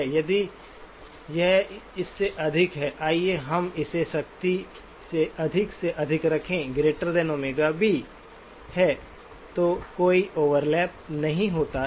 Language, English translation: Hindi, If this is greater than; let us keep it strictly greater than just for; is greater than omega B, then there is no overlap